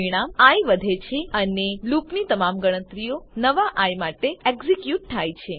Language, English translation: Gujarati, The parameter i is incremented and all the calculations of the loop are executed for the new i